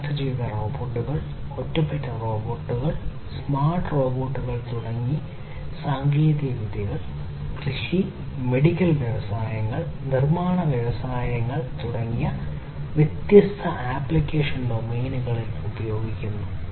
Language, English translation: Malayalam, Technologies such as connected robots, standalone robots, smart robots being used in different application domains such as agriculture, medical industries, manufacturing industries, and so on